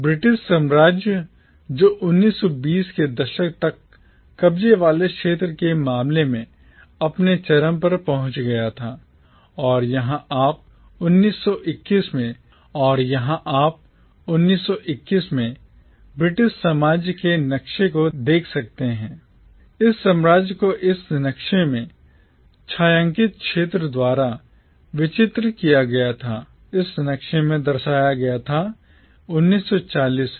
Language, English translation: Hindi, The British empire which had reached its peak in terms of occupied territory by the 1920’s, and here you can see the map of the British empire in 1921, this empire as depicted in this map, by the shaded area in this map, had started breaking up from 1940’s